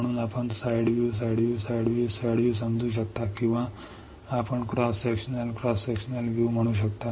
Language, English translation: Marathi, So, that you can understand side view, side view, side view, side view or you can say cross sectional, cross sectional view